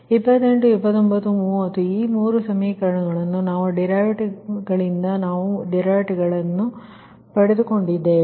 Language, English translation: Kannada, so twenty, eight, twenty, nine, thirty, these three equations we got right from this derivative